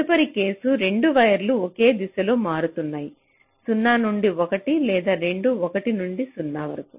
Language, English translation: Telugu, next case: both the wires are switching and in the same direction: zero to one or both one to zero